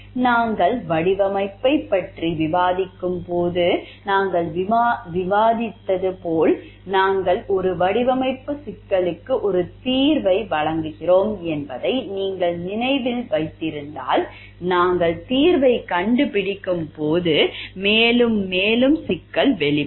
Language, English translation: Tamil, As we have discussed while we were discussing the design, if you remember like way we are providing a solution to a design problem more and more problem unfolds as we are finding out the solution and these problems have with newer problems with newer challenges